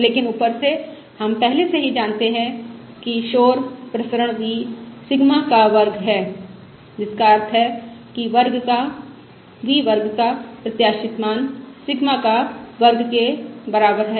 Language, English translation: Hindi, But from above we already know that noise variance is v Sigma square, which means expected value of v square equals Sigma square